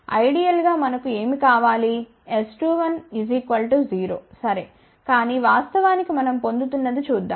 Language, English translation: Telugu, Ideally what do we want we want S 2 1 to be equal to 0 ok, but in a reality what we are getting let us see